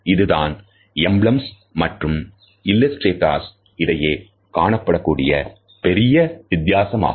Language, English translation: Tamil, And this is the major difference between emblem and illustrator